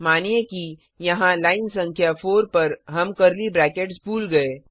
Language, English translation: Hindi, Suppose here, at line number 4 we miss the curly brackets